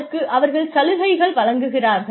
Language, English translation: Tamil, We need to give them benefits